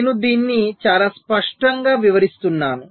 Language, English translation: Telugu, so i shall be explaining this very clearly